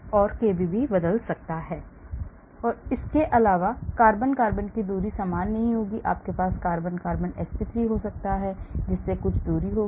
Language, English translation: Hindi, And kb also can change and in addition carbon carbon the distance is not going to be same you may have carbon carbon sp3, so that will have some distance